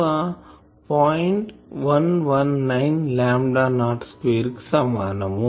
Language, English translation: Telugu, 119 lambda not square